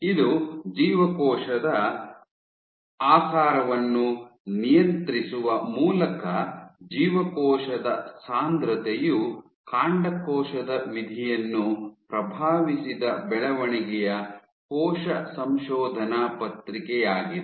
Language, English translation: Kannada, This was the developmental cell paper where cell density influenced stem cell fate via regulation of cell shape